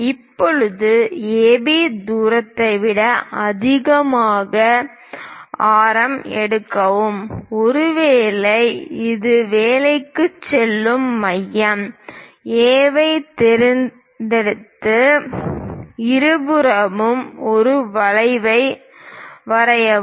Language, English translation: Tamil, Now, pick a radius greater than AB distance; perhaps this one going to work, pick centre A, draw an arc on both sides